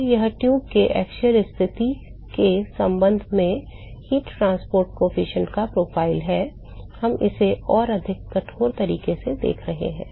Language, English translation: Hindi, So, that is the profile of heat transport coefficient with respect to the axial position in the tube, we can see this in a much more rigorous way